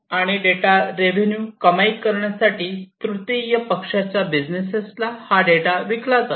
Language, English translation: Marathi, And this data is sold by the businesses to the third party businesses to earn revenue